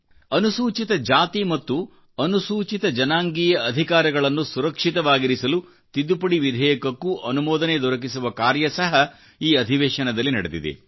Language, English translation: Kannada, An amendment bill to secure the rights of scheduled castes and scheduled tribes also were passed in this session